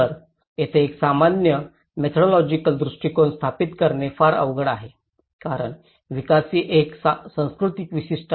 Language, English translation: Marathi, So, there is one it's very difficult to establish a common methodological approach you because development is a culture specific